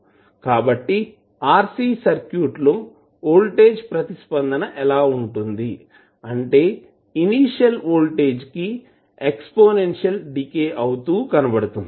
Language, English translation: Telugu, So this shows that the voltage response of RC circuit is exponential decay of initial voltage